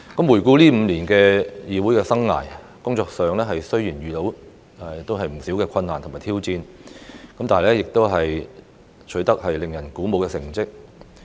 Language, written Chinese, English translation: Cantonese, 回顧這5年的議會生涯，工作上雖然遇到不少困難與挑戰，但亦取得令人鼓舞的成績。, Looking back on the past five years of my life as a Member of the Legislative Council while coming across many difficulties and challenges in my work I have also achieved encouraging results